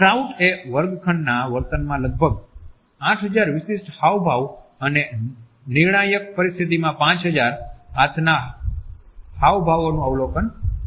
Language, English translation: Gujarati, Krout is observed almost 8,000 distinct gestures in classroom behavior and 5,000 hand gestures in critical situations